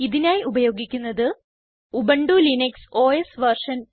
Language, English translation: Malayalam, Here I am using Ubuntu Linux OS version